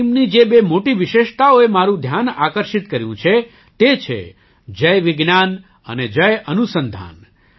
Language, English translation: Gujarati, The two great features of this team, which attracted my attention, are these Jai Vigyan and Jai Anusandhan